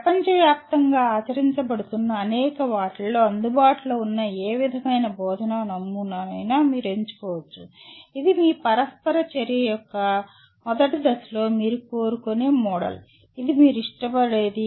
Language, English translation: Telugu, Which model of teaching out of the many that are available, that are practiced around the world which is the model that you would like to rather at the first stage of your interaction with this which is the one that you would prefer